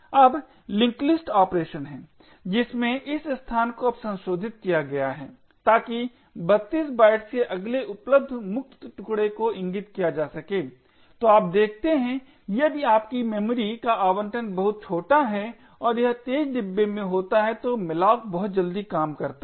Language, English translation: Hindi, Now there is the linked list operation wherein this location is now modified so as to point to the next available free chunk of 32 bytes, so you see that if your memory allocation is very small and it happens to be in the fast bin then malloc works very quickly